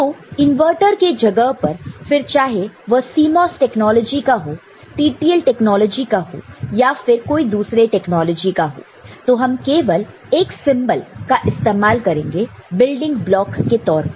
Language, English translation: Hindi, Instead, in place of a inverter depending on whether it is a CMOS technology or a TTL technology or any other technology, we shall put one symbol as a building block